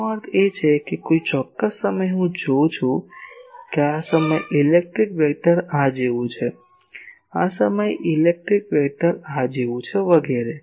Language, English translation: Gujarati, That means, at a particular time I am seeing that at this point electric vector is like this, at this point electric vector is like this etc